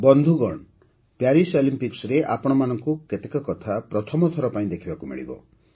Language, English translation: Odia, Friends, in the Paris Olympics, you will get to witness certain things for the first time